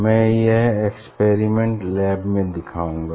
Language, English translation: Hindi, I will demonstrate this experiment in the laboratory